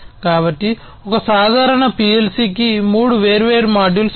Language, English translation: Telugu, So, a typical PLC has three different modules